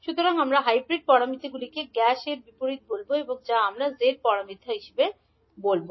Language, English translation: Bengali, So, we will say g as inverse of hybrid parameters or we say in short as g parameters